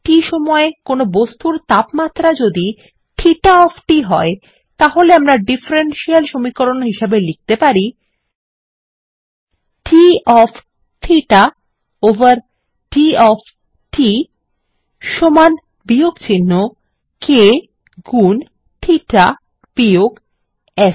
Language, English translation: Bengali, If theta of t is the temperature of an object at time t, then we can write a differential equation: d of theta over d of t is equal to minus k into theta minus S where S is the temperature of the surrounding environment